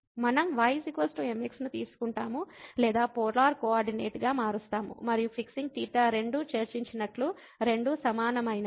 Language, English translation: Telugu, So, we take a is equal to or changing to polar coordinate and fixing theta as we discussed both are equivalent